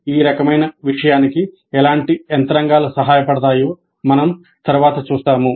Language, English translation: Telugu, We later see what kind of mechanisms can support this kind of a thing